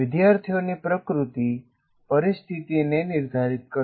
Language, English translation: Gujarati, So the nature of students will determine the situation